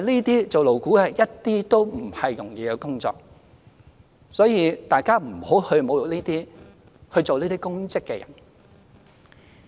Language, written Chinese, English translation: Cantonese, 擔任勞顧會委員絕非容易的工作，所以大家不要侮辱擔任這些公職的人士。, Being a LAB member is by no means an easy job so Members should not insult anyone serving in this public position